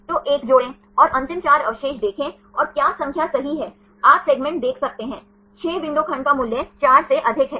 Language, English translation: Hindi, So, add 1 and see the last 4 residues and whether the number is right you can see the segment the 6 window segment is the value is more than 4